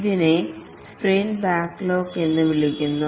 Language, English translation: Malayalam, This is called as a sprint backlog